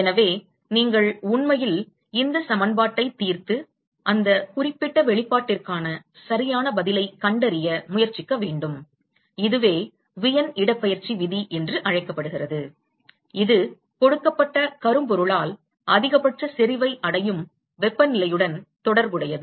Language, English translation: Tamil, So, you should actually solve this equation and try to find out the correct answer for that particular expression and this is what is called Wein’s displacement law which relates the temperature at which the maximum intensity is achieved by a given blackbody